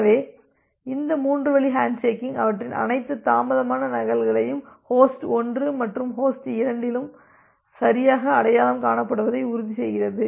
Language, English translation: Tamil, So, this three way handshaking ensures that their all the delayed duplicates are correctly identified by both host 1 and host 2